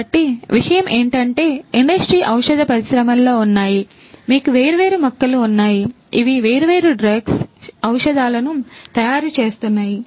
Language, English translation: Telugu, So, the thing is that there are in the pharmaceutical industry, you have different plants which are making different drugs and so on